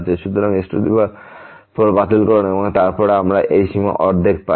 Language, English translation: Bengali, So, 4 get cancel and then we get this limit half